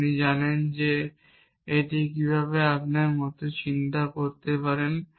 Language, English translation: Bengali, You know that how do you get that to think like this